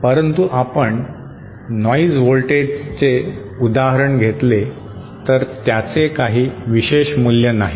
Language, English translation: Marathi, But say, noise voltage if you say, it does not have any particular value